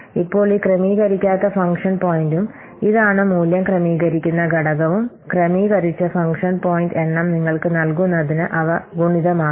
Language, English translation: Malayalam, Now, this unadjusted function point and this what are just the value adjust factor, they will be multiplied to give you the adjusted function point count